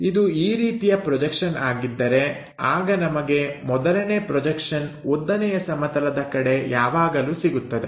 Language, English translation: Kannada, So, if we are projecting first projection always be on to vertical plane